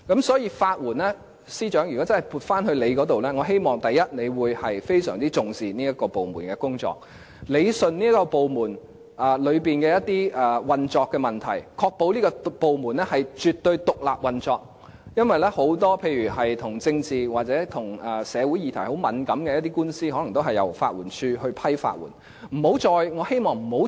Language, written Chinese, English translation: Cantonese, 所以，司長，如果法援署撥歸政務司司長負責，我希望他會非常重視這個部門的工作，理順這個部門內的一些運作問題，確保這個部門絕對獨立運作，因為很多個案，例如與政治或與很敏感的社會議題有關的官司，可能也是由法援署來審批法律援助申請。, As long as money is concerned however at least it is not a problem . If the LAD comes under the leadership of the Chief Secretary for Administration therefore I hope he will attach importance to this department straighten out some operational problems inside the department and ensure that this department operates independently beyond doubt . This is because many cases such as the lawsuits related to political or sensitive issues in the society may be handed to the LAD for processing of legal aid applications